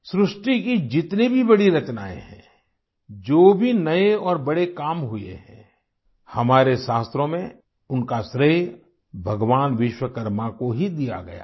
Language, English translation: Hindi, Whichever great creations are there, whatever new and big works have been done, our scriptures ascribe them to Bhagwan Vishwakarma